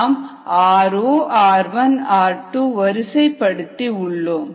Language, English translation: Tamil, i would just lined up r zero, r one, r two